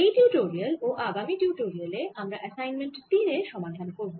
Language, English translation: Bengali, this and the next tutorial we are going to solve assignment three